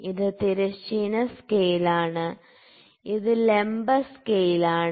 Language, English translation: Malayalam, So, this is horizontal scale, this is vertical scale